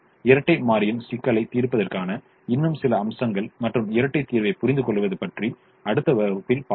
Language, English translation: Tamil, some more aspects of solving the dual and understanding the dual solution we will see in the next class